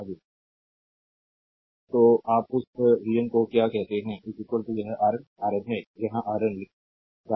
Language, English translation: Hindi, That ah your what you call that vn is equal to this RN ah RN is I have writing here RN